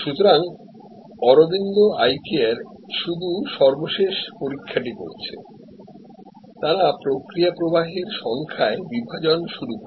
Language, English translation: Bengali, So, what Aravind eye care did is the final examination, they started sub dividing into number of process flows